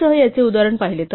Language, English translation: Marathi, We saw an example of this with the gcd